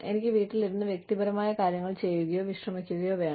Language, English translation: Malayalam, I just need to sit at home, and do some personal things, or just rest